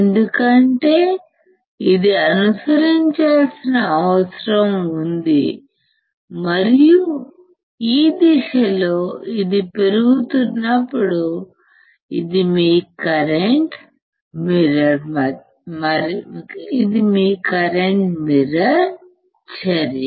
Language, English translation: Telugu, This is because it has to follow and then this is when it is increasing in this one in this direction, this is your current mirror action